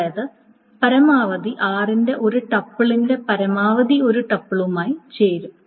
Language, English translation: Malayalam, So which means that at most one tipple of r will join with at most one triple of s